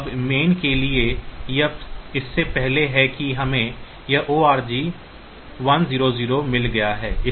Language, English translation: Hindi, So, this is before that we have got this org 100